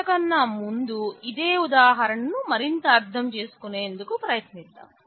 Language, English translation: Telugu, Before that let us just look at the same examples again